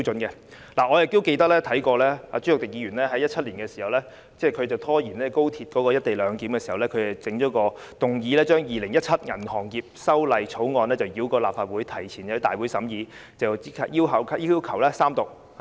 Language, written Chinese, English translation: Cantonese, 我記得朱凱廸議員在2017年拖延高鐵"一地兩檢"的時候曾提出一項議案，要求把《2017年銀行業條例草案》繞過內會，提前在大會審議及立即要求三讀。, I remember Mr CHU Hoi - dick also moved a motion in 2017 to bypass the scrutiny of the Banking Amendment Bill 2017 in the House Committee and to immediately advance its scrutiny and Third Reading in that Council meeting in order to stall the debate on the co - location proposal of the High Speed Rail